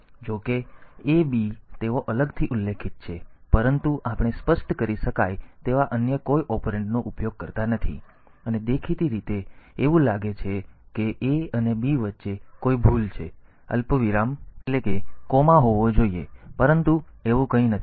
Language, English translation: Gujarati, So, though A B they are specified separately, but they are we do not have we do not have any other operand that can be specified; and apparently it seems that there is a mistake between A and B, there should be a comma, but it is nothing like that